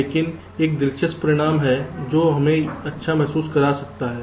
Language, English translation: Hindi, but there is an interesting result which can make us feel good